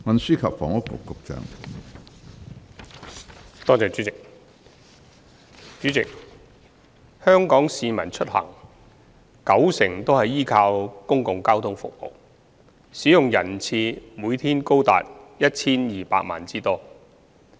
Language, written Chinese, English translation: Cantonese, 主席，香港市民出行九成都是依靠公共交通服務，使用人次每天達 1,200 萬之多。, President currently 90 % of Hong Kong people rely on public transport services to travel and the number of daily passenger trips is as high as 12 million